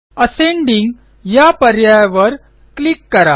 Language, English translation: Marathi, Let us click on the Ascending option